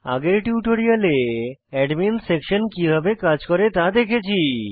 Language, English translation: Bengali, In the earlier tutorial, we had seen how the Admin Section works